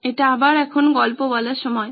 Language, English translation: Bengali, It’s story time again